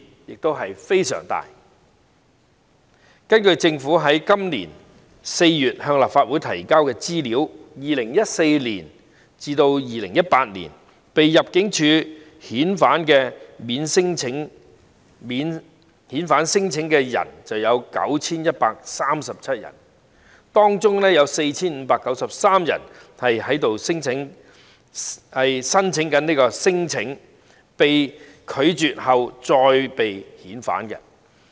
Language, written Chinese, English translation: Cantonese, 根據政府在今年4月向立法會提交的資料，在2014年至2018年被入境事務處遣返的免遣返聲請的人有 9,137 人，當中 4,593 人是免遣返聲請被拒絕後被遣返的。, According to the information provided by the Government to the Legislative Council in April this year 9 137 non - refoulement claimants were removed by the Immigration Department ImmD from 2014 to 2018 among them 4 593 were removed after their non - refoulement claims were rejected